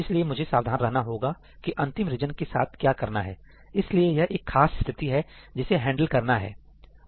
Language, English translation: Hindi, So, I have to be careful about what I do with the last region; so, this is just a special case to handle that